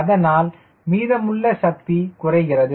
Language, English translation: Tamil, thats why excess power reduces, right